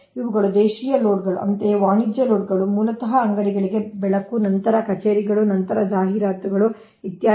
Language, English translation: Kannada, similarly, commercial loads, basically lighting for shops, then offices, then advertisements, ah, etc